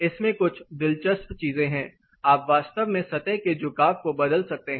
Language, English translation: Hindi, There are few interesting things in this you can actually change the surface tilt